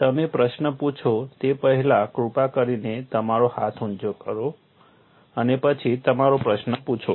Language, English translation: Gujarati, Before you ask the questions, please raise your hand, and then ask your question